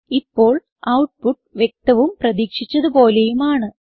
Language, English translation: Malayalam, As we can see, the output is as expected